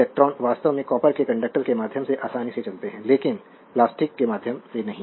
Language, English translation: Hindi, So, electrons actually readily move through the copper conductor, but not through the plastic insulation